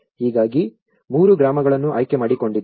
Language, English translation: Kannada, So in that way, I have selected three villages